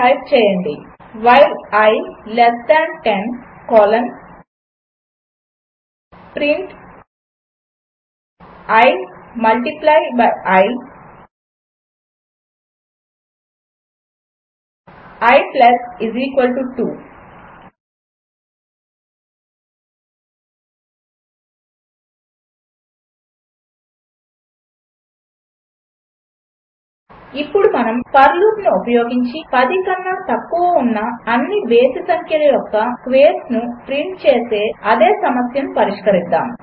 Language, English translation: Telugu, Type i = 2 while i less than 10 colon print i multiply by i i += 2 Let us now solve the same problem of printing the squares of all odd numbers less than 10, using the for loop